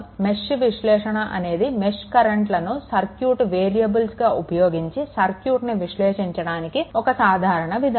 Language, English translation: Telugu, So, mesh analysis is a general proceed your for analyzing circuit using mesh current as the ah circuit variables